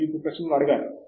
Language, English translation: Telugu, You have to ask questions now